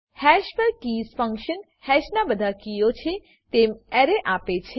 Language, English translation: Gujarati, keys function on hash, returns an array which contains all keys of hash